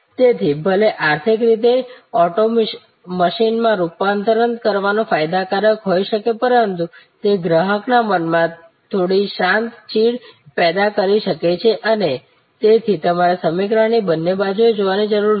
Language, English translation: Gujarati, So, even though economically it may be beneficial to convert to auto machine, but it may create some silent irritation in customer's mind and therefore, you need to look at both sides of the equation